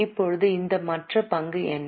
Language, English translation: Tamil, Now what is this other equity mean